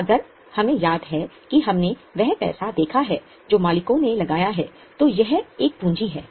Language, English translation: Hindi, If we remember we have seen that money which owners put in is a capital